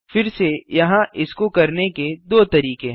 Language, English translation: Hindi, Again, there are two ways to do this